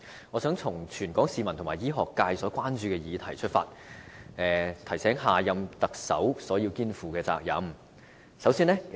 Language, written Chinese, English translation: Cantonese, 我想提出全港市民和醫學界所關注的議題，提醒下任特首他要肩負甚麼責任。, I would like to raise a few issues of concern in society and the medical sector with a view to reminding the next Chief Executive of his or her responsibilities